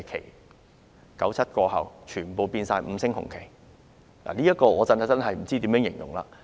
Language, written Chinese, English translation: Cantonese, 1997年之後，全部變為五星紅旗，我不知道怎樣形容這現象。, After 1997 they have become red flags with five stars . I do not know how to describe such a phenomenon